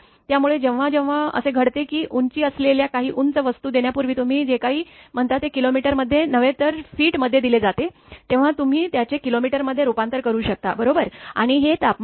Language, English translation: Marathi, So, whenever it happens that your what you call before giving all these things that some high with the height is given here in feet not in kilometer or this thing this is in feet, feet you can convert it to kilometer no problem, right and this is the temperature